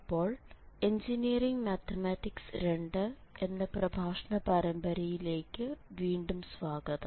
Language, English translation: Malayalam, So, welcome back to lectures on Engineering Mathematics 2